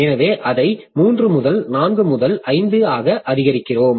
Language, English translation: Tamil, So we increase it to three to four to five